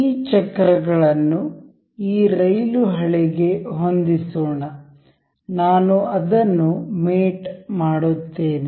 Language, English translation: Kannada, Let us just align these wheels to this rail track; I will make it mate